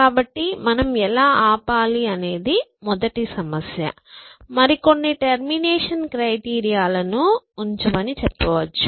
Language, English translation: Telugu, So, the first problem of how do we stop, we will say that put some other termination criteria